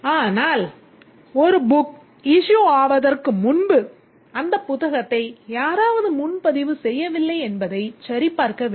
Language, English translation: Tamil, Similarly before a book can be renewed needs to be checked whether somebody has reserved that book